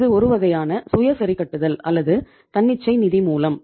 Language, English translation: Tamil, So it means this is the self adjusting or the spontaneous source of finance